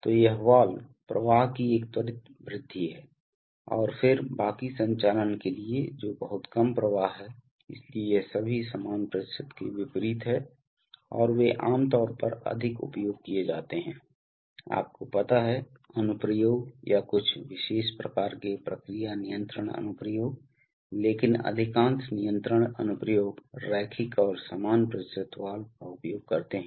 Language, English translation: Hindi, So this valves, there is a quick increase of flow and then for the rest of the movement that is very little flow, so it is all kind of opposite of the equal percentage and they are typically used more in, you know on off kind of applications or some certain special kinds of process control applications but most of the control applications use linear and equal percentage valves